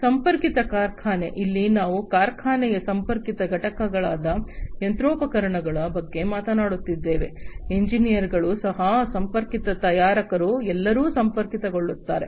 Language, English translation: Kannada, Connected factory, here we are talking about connected components of the factory such as the machinery components, engineers will also be connected manufacturers will all be connected